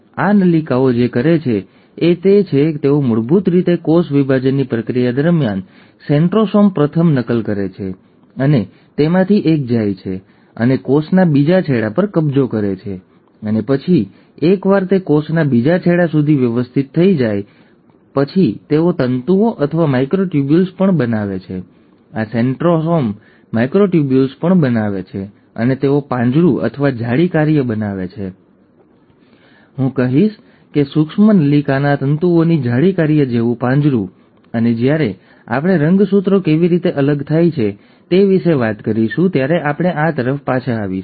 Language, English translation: Gujarati, So what these tubules do is that they basically, during the process of cell division, the centrosome first replicates, and one of them goes and occupies the other end of the cell, and then, once it has organized to the other end of the cell, they also form fibres, or microtubules, this centrosome also forms microtubules and they form a cage or a mesh work, I would say a cage like mesh work of micro tubule fibres, and we will come back to this when we are talking about how the chromosomes get separated